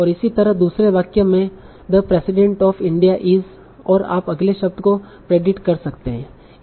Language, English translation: Hindi, And similarly the second sentence, the president of India is, and you can predict the next word